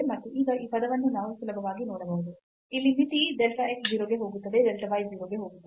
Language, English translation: Kannada, And now this term we can easily see that here the limit as delta x goes to 0 delta y goes to 0